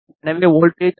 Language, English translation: Tamil, So, as you can see the voltage is 5